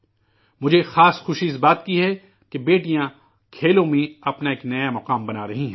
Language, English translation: Urdu, I am especially happy that daughters are making a new place for themselves in sports